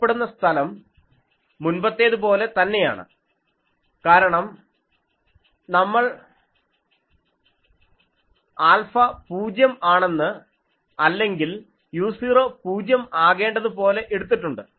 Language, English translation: Malayalam, The pattern is like this, the visible space is same as before because we have taken the alpha to be 0 or u 0 to be 0